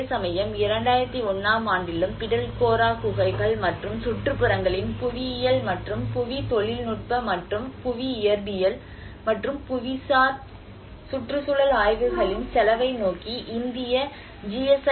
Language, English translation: Tamil, Whereas there also in 2001 onwards, the deposit work is awarded to GSI Geological Survey of India towards the cost of geological and geotechnical and geophysical and geoenvironmental studies of the Pitalkhora caves and the surroundings